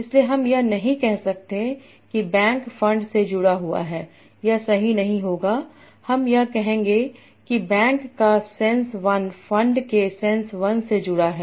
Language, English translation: Hindi, So I cannot say that bank is connected to fund saying that will not be correct what I will say science one of bank is connected to science one of fund